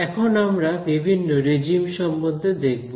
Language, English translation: Bengali, So, now let us come to the different so called regimes